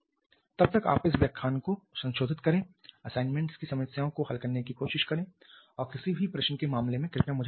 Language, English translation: Hindi, Till then you revise this lecture try to solve the assignment problems and in case of any query please write back to me, Thank you